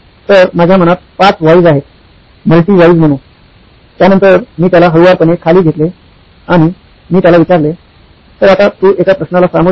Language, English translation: Marathi, So I had 5 Whys in mind, the multi Whys in mind, so I took him down slowly and I asked him, so let’s face a question